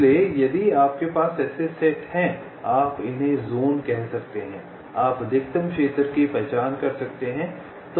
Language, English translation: Hindi, so if you have ah set of such, you can say zones, you can identify the maximal zone